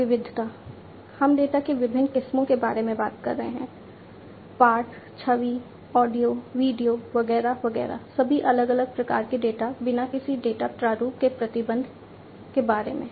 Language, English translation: Hindi, Variety, we are talking about different varieties of data text, image, audio, video etcetera, etcetera all different types of data without any restriction about the data format